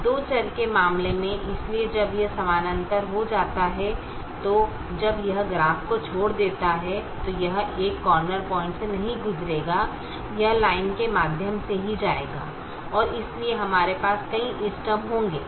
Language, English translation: Hindi, so when it becomes parallel, then when it leaves the graph, then it will not go through a corner point, it will go through the line itself and therefore we will have multiple optimum